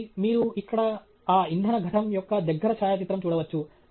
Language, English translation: Telugu, So, you can see here a close up of that fuel cell